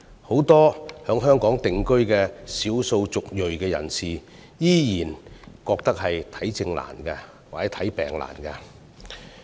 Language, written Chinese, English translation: Cantonese, 很多在香港定居的少數族裔人士依然覺得求診困難。, Many of the ethnic minority people who have settled in Hong Kong still find it difficult to seek medical consultation